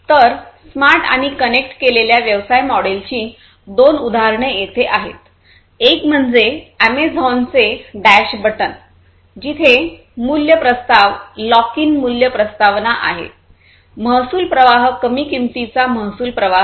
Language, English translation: Marathi, So, here are two examples of smart and connected business model; one is the Amazon’s dash button, where the value proposition is basically the lock in value proposition, the revenue streams are low cost, basically, you know, low cost revenue streams